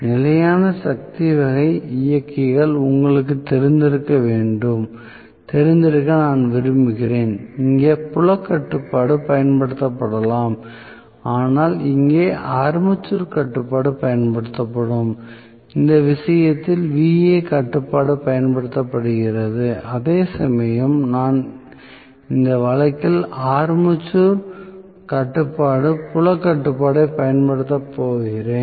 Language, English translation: Tamil, So, I might like to go for you know constant power kind of drive, So, here field control may be used whereas here armature control will be used so Va control is used in this case whereas I am going to have armature control field control used in this case